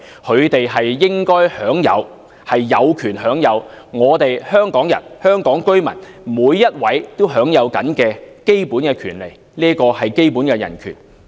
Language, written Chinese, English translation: Cantonese, 他們應該有權享有每位香港人、香港居民都享有的基本權利，這是基本的人權。, They should be entitled to the same basic rights as those enjoyed by every citizen of Hong Kong because those are basic human rights